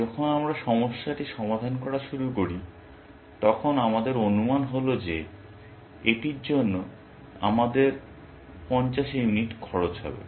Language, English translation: Bengali, When we start solving the problem, our estimate is that it is going to cost us 50 units of whatever